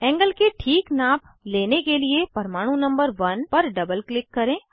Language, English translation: Hindi, To fix the angle measurement, double click on atom number 1